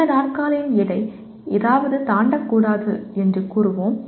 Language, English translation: Tamil, We will say the weight of this chair should not exceed something